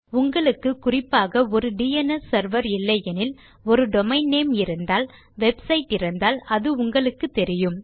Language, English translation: Tamil, If you know a specific DNS Server, if you have a domain name already, if you have a website you will know it or you will be able to find it, at least